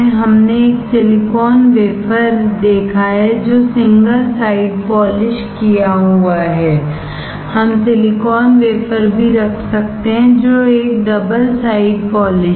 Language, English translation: Hindi, We have seen a silicon wafer which are single side polished, we can also have silicon wafer which a double side polished